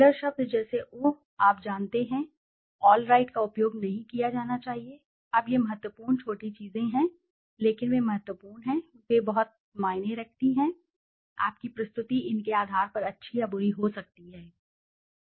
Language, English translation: Hindi, Filler words like uh , you know , all right should not be used, now these are the important small things but they are important, they matter a lot, your presentation can be done good or bad on basis of these things